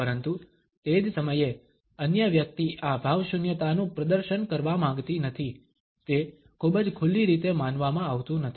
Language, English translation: Gujarati, But at the same time the other person does not want to exhibit this cinicism is not believed in a very open manner